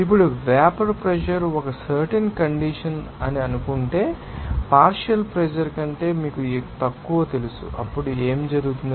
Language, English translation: Telugu, Now, if suppose that a certain condition that vapour pressure is, you know less than the partial pressure, then what will happen